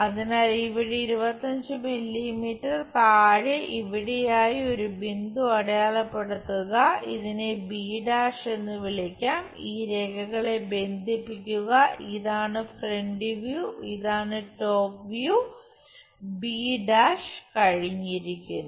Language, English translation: Malayalam, So, somewhere here below 25 mm mark a point, call this one b’ connect these lines, this is the front view this is the top view b’ is done